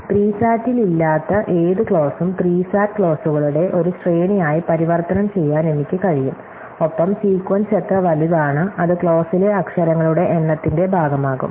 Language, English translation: Malayalam, So, I can convert any clause which is not in SAT into a sequence of SAT clauses and how big is sequence, well it is going to be portion to the number of literals in the clause